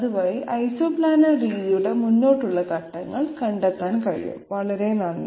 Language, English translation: Malayalam, And this way the forward steps in Isoplanar method can be found out, thank you very much